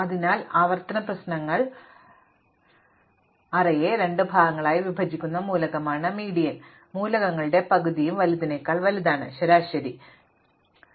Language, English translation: Malayalam, Because, the median is that element which splits the array into two parts, those half of the elements are bigger than the median, half are smaller than the median